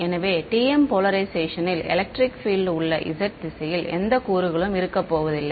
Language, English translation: Tamil, So, therefore, there is going to be no component of electric field in the z direction in TM polarization right